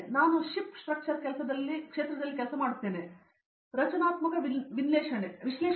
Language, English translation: Kannada, And I am working in the field of Ship Structures, structural analysis